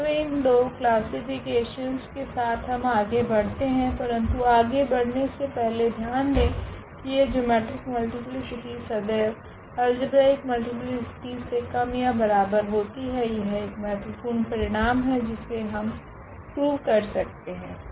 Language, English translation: Hindi, So, with these two classification we will move further, but before that there is a note here, that this geometric multiplicity is always less than or equal to the algebraic multiplicity, that is a important result which one can formally prove